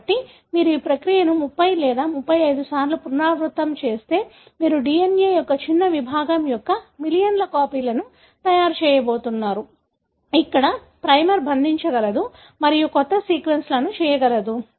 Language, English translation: Telugu, So, what you do is if you repeat this process for 30 or 35 times, you are going to make millions of copies of a small segment of the DNA, where the primer is able to bind and can make new sequences